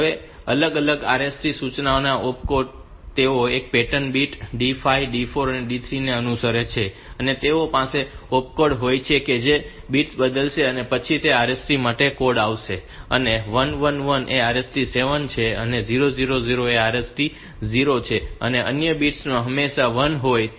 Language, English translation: Gujarati, Opcodes from different RST instructions they follow a pattern bit D 5 D 4 and D 3 they are they are having the opcode so that these bits will change and then that will give the code for RST and 1 1 1 is RST 7 and 0 0 0 is RST 0 other bits are always 1